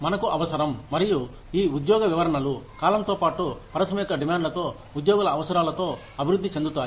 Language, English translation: Telugu, We need to, and these job descriptions, evolve with time, with the demands of the industry, with the needs of the employees